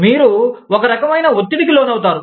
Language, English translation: Telugu, You feel under, some kind of a pressure